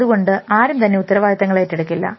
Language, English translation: Malayalam, So, then nobody will own any responsibilities